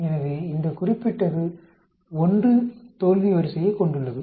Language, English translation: Tamil, So this particular has a failure order of 1